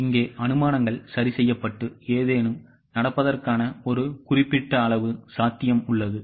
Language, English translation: Tamil, Here the assumptions are fixed and there is a certain level of possibility of some things happening